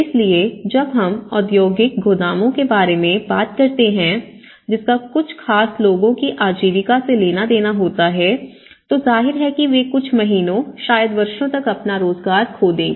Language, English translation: Hindi, So, when we talk about the industrial godowns and which has to do with the livelihood of certain sector of the people, obviously they will lose their employment for some months, maybe years